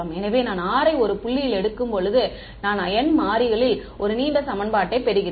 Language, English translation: Tamil, So, when I take r to be one point, I get one long equation in n variables